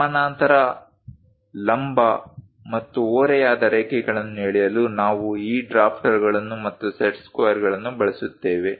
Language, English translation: Kannada, To draw parallel, perpendicular, and inclined lines, we use these drafter along with set squares